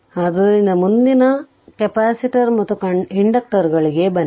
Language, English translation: Kannada, So, next you come to the capacitor and inductors